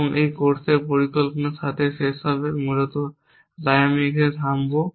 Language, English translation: Bengali, And will end with planning in this course with that essentially so I will stop here